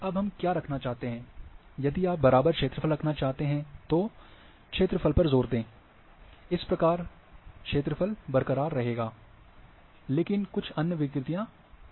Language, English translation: Hindi, Now then what we want to keep, if you want to keep equal area, then emphasis on the area, area will be intact, but there might be some other distortions will come